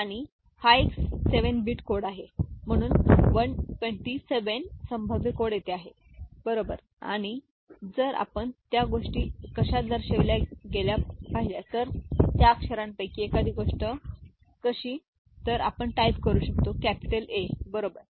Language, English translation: Marathi, And it is a 7 bit code, so 128 possible codes are there, right and if you just look at how things get represented say one of the character, we type say is capital A, right